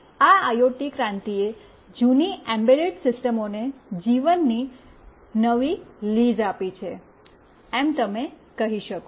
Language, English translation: Gujarati, And this IoT revolution has given this embedded system a new lease of life